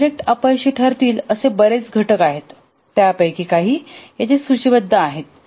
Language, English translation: Marathi, There are many factors which may contribute to a project failure, just listed some of them here